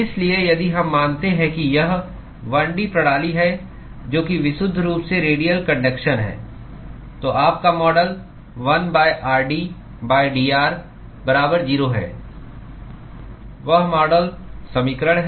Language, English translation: Hindi, So, if we assume that it is 1 D system, that is purely radial conduction, then your model is 1 by r d by dr